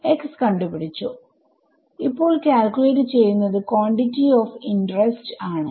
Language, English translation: Malayalam, You have found out x, now actually calculating the quantity of interest